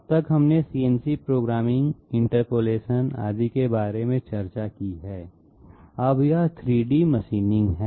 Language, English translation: Hindi, Till now we have discussed about CNC programming, interpolation, etc, now this is 3 D machining